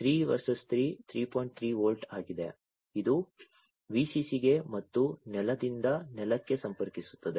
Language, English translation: Kannada, 3 volts this one connects to the Vcc and ground to ground